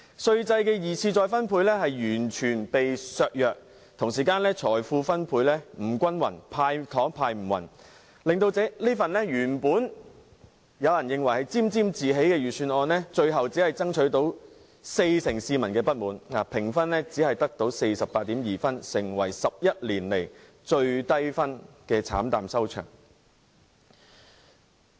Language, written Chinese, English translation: Cantonese, 稅制的二次分配作用完全被削弱，財富分配不均，"派糖"派得不均勻，令原本有人沾沾自喜的預算案有四成市民感到不滿，評分只得 48.2 分，成為11年來最低分的預算案，慘淡收場。, The secondary distribution function of the tax system was completely undermined due to the uneven distribution of wealth and candies . As a result this Budget which someone was complacent about has provoked the dissatisfaction of 40 % of the people and ended up a fiasco with a rating of only 48.2 a record low in 11 years . In fact the Governments surplus has repeatedly hit record highs